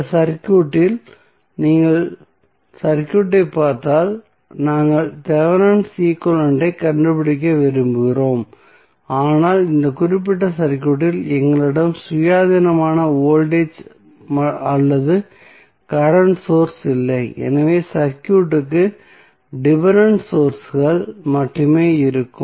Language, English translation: Tamil, In this circuit if you see the circuit we want to find out the Thevenin equivalent but in this particular circuit we do not have any independent voltage or current source, so the circuit would have only dependent source